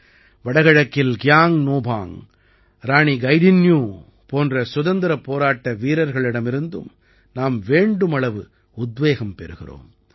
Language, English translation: Tamil, We also get a lot of inspiration from freedom fighters like Kiang Nobang and Rani Gaidinliu in the North East